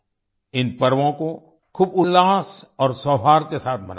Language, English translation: Hindi, Celebrate these festivals with great gaiety and harmony